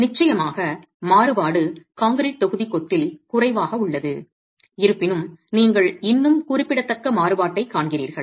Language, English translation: Tamil, Of course the variability is lower in the concrete block masonry, however you still do see significant variability